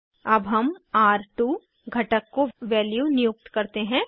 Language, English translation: Hindi, Let us assign value to R2 component